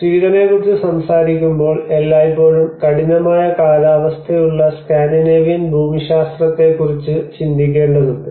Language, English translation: Malayalam, So when we talk about Sweden we always see thinks about the Scandinavian geographies with very harsh climatic conditions